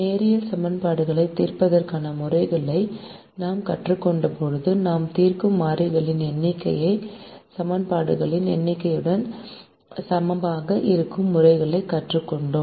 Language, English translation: Tamil, when we learnt methods to solve linear equations, we learnt methods where the number of variables that we solve is equal to the number of equations